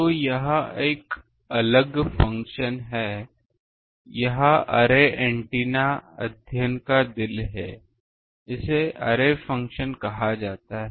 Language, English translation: Hindi, So, this is a different function this is the heart of array antenna study this is called the array function